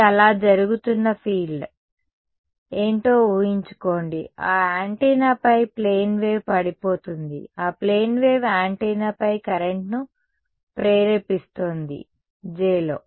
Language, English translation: Telugu, This is the field that is happening so, imagine that imagine that there is a plane wave that is falling on the antenna alright, that plane wave is inducing a current on the antenna that current is this J